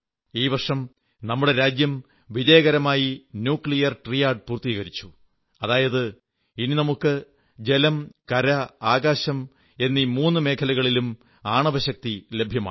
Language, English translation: Malayalam, It was during this very year that our country has successfully accomplished the Nuclear Triad, which means we are now armed with nuclear capabilitiesin water, on land and in the sky as well